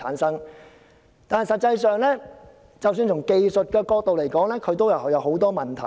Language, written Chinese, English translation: Cantonese, 實際上，即使從技術角度來說，當中也有很多問題。, In fact from the technical perspective there are also a lot of problems